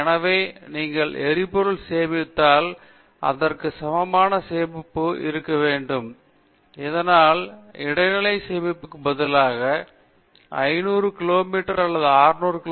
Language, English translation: Tamil, Therefore, if you are storing the fuel, we should store equivalent to that, so that you will be able to travel 500 kilometers or 600 kilometers at a stretch, instead of the intermediates storage